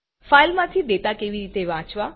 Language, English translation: Gujarati, How to read data from a file